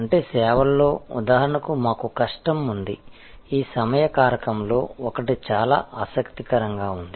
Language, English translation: Telugu, Which means in services, we have difficulty for example, one is very interesting is this time factor